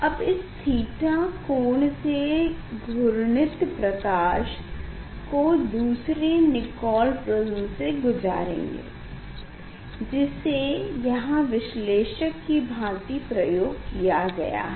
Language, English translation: Hindi, now it will rotate by angle theta then it will another Nicol Prism will use as analyzer